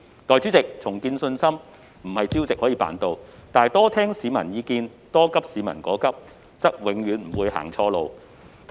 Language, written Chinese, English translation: Cantonese, 代理主席，重建信心不能朝夕達成，但多聆聽市民意見，多急市民所急，則永遠也不會走錯路。, Deputy President rebuilding confidence cannot be achieved overnight yet it will never be wrong to listen more to peoples views and share the publics urgent concern